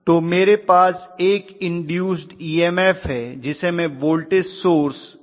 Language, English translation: Hindi, So I have an induce EMF which I am showing as a voltage source Ef